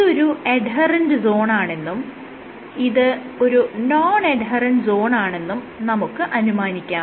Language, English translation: Malayalam, Let us assume, this is an adherent zone and this is an adherent zone this is adherent